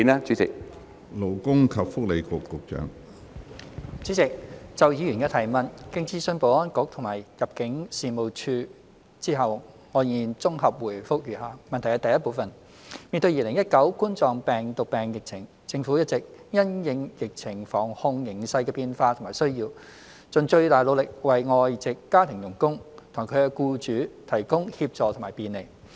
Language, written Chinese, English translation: Cantonese, 主席，就議員的提問，經諮詢保安局及入境事務處後，我現綜合回覆如下。一面對2019冠狀病毒病疫情，政府一直因應疫情防控形勢的變化和需要，盡最大努力為外籍家庭傭工和其僱主提供協助和便利。, President having consulted the Security Bureau and the Immigration Department ImmD my consolidated response to the Members question is set out below 1 In the face of the COVID - 19 pandemic the Government has been making its best effort to provide assistance and facilitation to foreign domestic helpers FDHs and their employers subject to changes in and the need for prevention and control of the pandemic